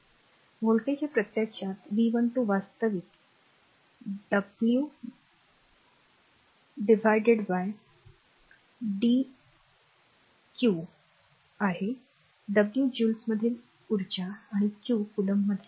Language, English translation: Marathi, So, voltage actually that is your V 12 actually dw of dw by dq the w is the energy in joules and q the charge in coulomb